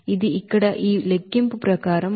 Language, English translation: Telugu, It is simply as per this calculation here